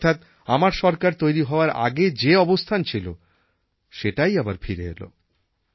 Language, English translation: Bengali, This means that now same situation exists as it was prior to the formation of my government